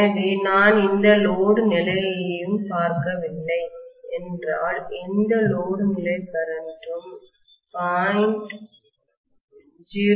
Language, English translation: Tamil, So if I am looking at the no load condition, no load condition current will be of the order of 0